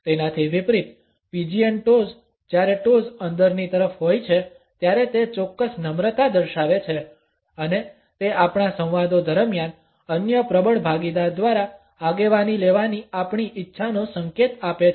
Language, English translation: Gujarati, In contrast the pigeon toes when the toes are pointing inward shows a certain meekness and it signals our willingness to be led by the other dominant partner during our dialogues